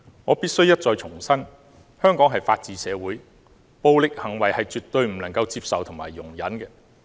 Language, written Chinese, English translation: Cantonese, 我必須一再重申，香港是法治社會，暴力行為是絕對不能夠接受和容忍的。, I must stress again that Hong Kong is governed by the rule of law . Violence is totally unacceptable and intolerable